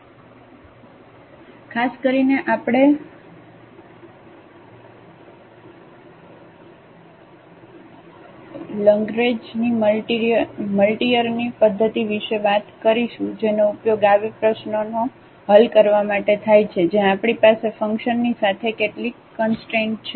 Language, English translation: Gujarati, So, in particular we will be talking about the method of a Lagrange’s multiplier which is used to solve such problems, where we have along with the function some constraints